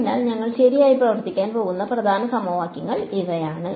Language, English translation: Malayalam, So, these are the main sets of equations that we will work with alright